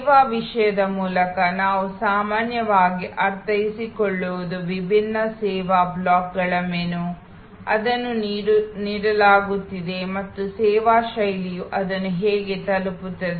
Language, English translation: Kannada, By service content, what we normally mean is the menu of different service blocks, that are being offered and service style is how it will be delivered